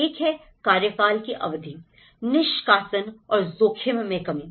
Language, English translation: Hindi, One is the security of tenure, evictions and risk reduction